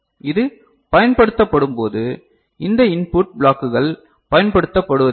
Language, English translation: Tamil, Since when this is used so, these input blocks are not used right